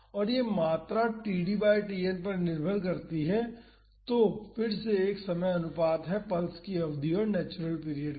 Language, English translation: Hindi, And, this quantity depends upon td by Tn that is again a time ratio that is the duration of the pulse to the natural period